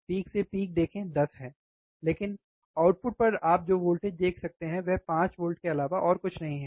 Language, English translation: Hindi, See peak to peak is 10, but the voltage that you can see at the output is nothing but 5 volts, alright